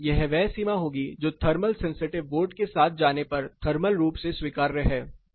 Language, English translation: Hindi, So, this would be range which is thermally acceptable if you go with the thermal sensation vote